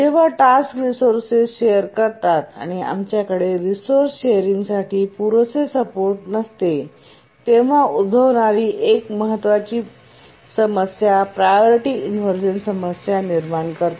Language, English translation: Marathi, One of the crucial issue that arises when tasks share resources and we don't have adequate support for resource sharing is a priority inversion problem